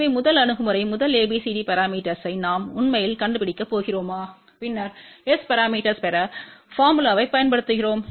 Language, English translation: Tamil, So, first approaches we are going to actually find out first ABCD parameter and then we use the formulas to get S parameter